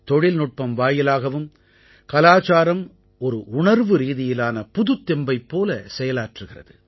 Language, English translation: Tamil, Even with the help of technology, culture works like an emotional recharge